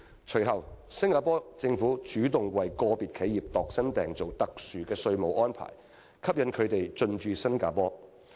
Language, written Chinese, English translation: Cantonese, 隨後，新加坡政府主動為個別企業度身訂造特殊的稅務安排，以吸引它們進駐新加坡。, Subsequently the Singapore Government would proactively design and offer customized tax incentives for individual enterprises so as to encourage their anchoring in Singapore